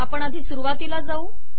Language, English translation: Marathi, Lets go to the beginning